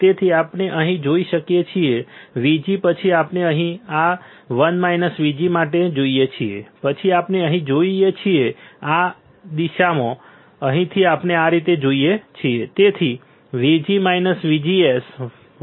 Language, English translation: Gujarati, So, we go from here right VG from here VG right then we go here this 1 minus VGS then we go here, here in this direction all right from here we go this way